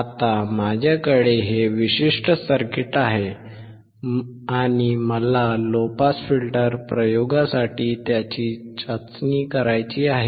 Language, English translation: Marathi, Now I have this particular circuit and I want to test it for the low pass filter experiment